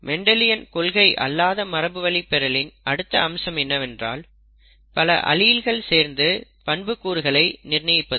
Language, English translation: Tamil, The next non Mendelian aspect is that, multiple alleles can determine a trait